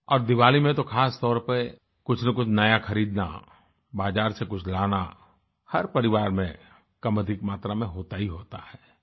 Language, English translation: Hindi, And especially during Diwali, it is customary in every family to buy something new, get something from the market in smaller or larger quantity